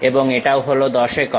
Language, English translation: Bengali, And, this one also 10 units